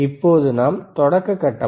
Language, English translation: Tamil, What is the start phase